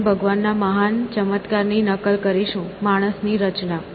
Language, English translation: Gujarati, we shall duplicate God's greatest miracle the creation of man” essentially